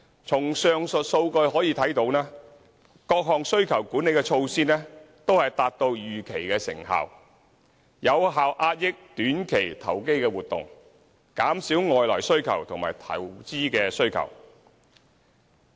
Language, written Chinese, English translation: Cantonese, 從上述數據可見，各項需求管理措施都達到預期的成效，有效遏抑短期投機活動、減少外來需求和投資需求。, As demonstrated by the above mentioned data the demand - side measures have achieved the expected results of effectively combating short - term speculation and curbing external demand as well as investment demand